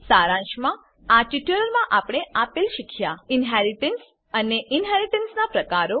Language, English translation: Gujarati, Let us summarize In this tutorial, we learnt, Inheritance and, Types of inheritance